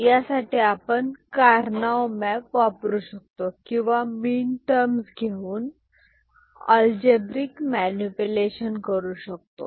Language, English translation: Marathi, So, we can use Karnaugh map for minimization or we can take the minterms and then we do algebraic manipulation